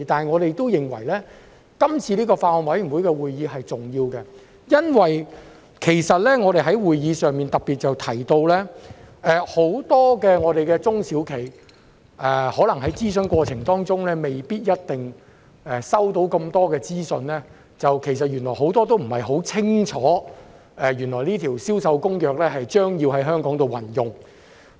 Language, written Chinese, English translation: Cantonese, 我們都認為該次法案委員會會議是重要的，因為我們在會議上特別提到，很多中小型企業可能在諮詢過程中未必收到這麼多資訊，原來他們很多都不太清楚《聯合國國際貨物銷售合同公約》將要在香港實施。, We deemed the meeting important as we mentioned in particular at the meeting that many small and medium enterprises SMEs did not have much information on the Bill during the consultation process and did not know much about the forthcoming implementation of the United Nations Convention on Contracts for the International Sale of Goods CISG in Hong Kong